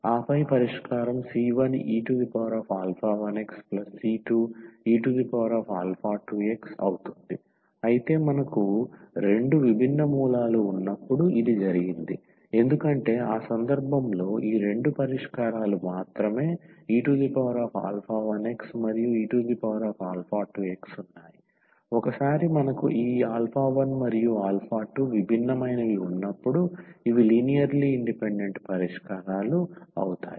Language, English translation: Telugu, And then, the solution will be c 1 e power alpha 1 x plus c 2 e power alpha 2 x, but this was the case when we have two distinct roots because in that case only these two solutions e power alpha 2 x and e power alpha 1 x these are linearly independent solutions, once we have that this alpha 1 and alpha 2 are distinct